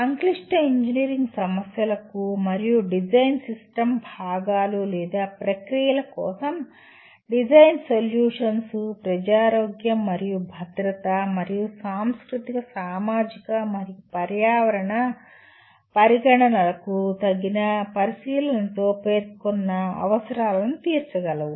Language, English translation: Telugu, Design solutions for complex engineering problems and design system components or processes that meet the specified needs with appropriate consideration for the public health and safety and the cultural, societal and environmental considerations